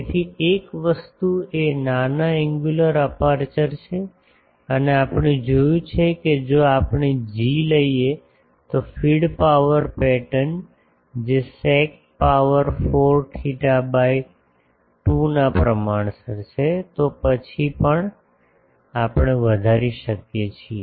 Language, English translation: Gujarati, So, one thing is small angular aperture and previously we have seen that if we take the g, the feed power pattern that is proportional to sec 4 theta by 2, then also we can maximise